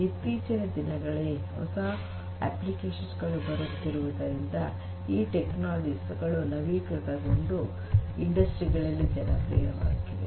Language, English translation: Kannada, But only in the recent times, because of the newer applications that are coming up, these technologies have got renewed attractiveness and are being used popularly in the industries